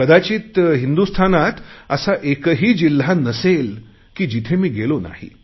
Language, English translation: Marathi, Perhaps there isn't a district in India which I have not visited